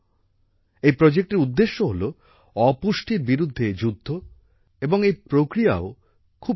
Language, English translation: Bengali, The purpose of this project is to fight against malnutrition and the method too is very unique